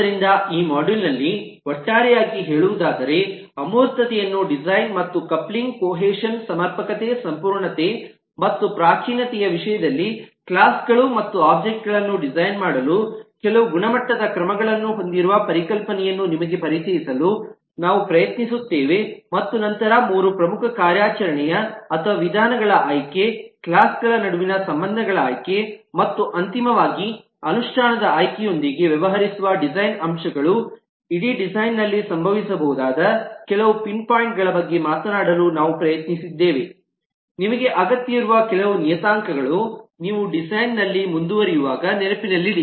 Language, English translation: Kannada, so, to sum up, in this module we try to introduce you to the concept of having certain quality measures for designing the abstraction and for designing the classes and objects in terms of coupling, cohesion, sufficiency, completeness and primitiveness, and then for the three major aspects of the design, dealing with the choice of operations or methods, the choice of relationships between classes and, finally, the choice of implementation